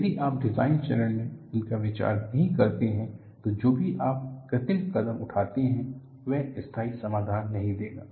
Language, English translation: Hindi, If you do not account for this at the design phase, whatever the cosmetic steps that you take, will not yield a permanent solution